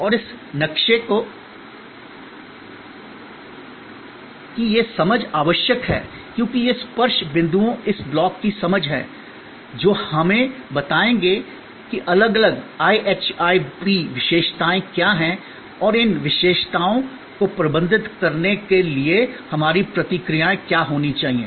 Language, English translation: Hindi, And this understanding of this map is necessary, because these touch points are understanding of this blocks will tell us that, what are the different IHIP characteristics and what should be our responses to manage those IHIP characteristics